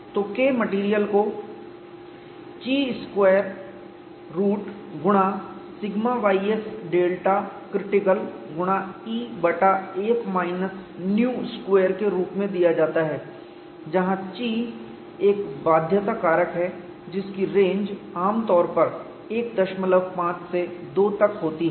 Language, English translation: Hindi, So, K material is given as square root of chi into sigma ys delta critical multiplied by e divided by 1 minus nu square, where chi is a constraint factor typically ranges from 1